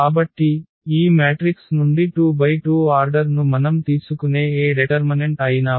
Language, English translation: Telugu, So, any determinant we take of order 2 by 2 out of this matrix the answer is 0